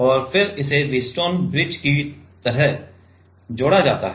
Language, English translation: Hindi, And then it is connected like a Wheatstone bridge